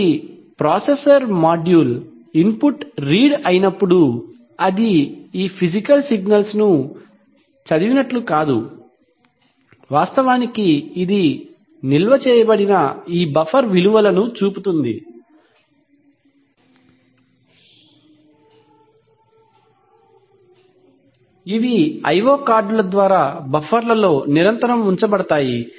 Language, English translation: Telugu, So, when the processor module reads an input, it is not that it reads these physical signals, it actually reads these buffer values which are stored, which are continuously kept in the buffers by the i/o cards, right